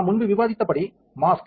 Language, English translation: Tamil, As we discussed earlier the mask